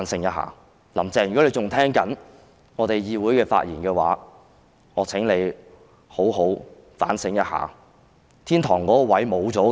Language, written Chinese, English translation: Cantonese, 如果"林鄭"仍然在聆聽我們在議會內的發言，我請妳也好好地反省，妳已經失去天堂那裏的位置了。, If Carrie LAM is still listening to our speeches being delivered inside the Council I ask you to do some good soul - searching . You have already lost your place in heaven